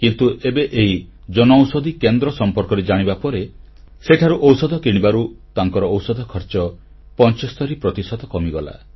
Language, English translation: Odia, But now that he's come to know of the Jan Aushadhi Kendra, he has begun purchasing medicines from there and his expenses have been reduced by about 75%